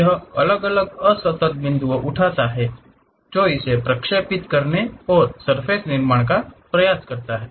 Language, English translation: Hindi, It picks isolated discrete points try to interpolate it and construct surfaces